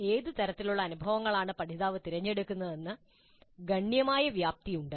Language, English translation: Malayalam, There is considerable latitude in what kind of experiences are chosen by the learner